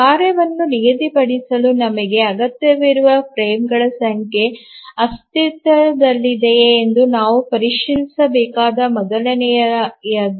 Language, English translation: Kannada, The first thing we need to check whether the number of frames that we require to schedule the task exists